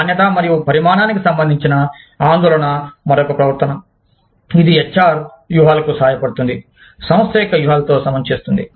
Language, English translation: Telugu, Concern for quality and quantity is another behavior, that helps the HR strategies, align with the strategies of the organization